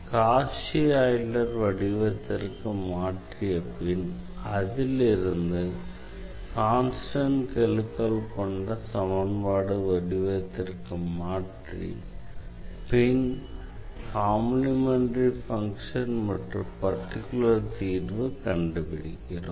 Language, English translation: Tamil, And then the Cauchy Euler equation was changed to the linear equation with constant coefficient and that we know how to solve with the help of this complementary function and the particular integral